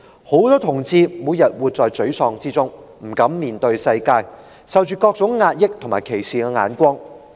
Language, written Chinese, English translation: Cantonese, 許多同志每天活在沮喪之中，不敢面對世界，更飽受壓抑和他人歧視的目光。, A lot of the homosexual people actually live in frustration every day who dare not face the world as they are forever suppressed and being discriminated against